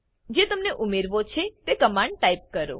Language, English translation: Gujarati, Type the comments that you wish to add